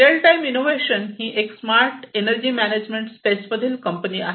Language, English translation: Marathi, RTI, Real Time Innovations is another company, which is into the smart energy management space